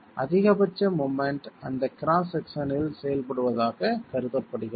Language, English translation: Tamil, The maximum moment is assumed to be acting at that cross section itself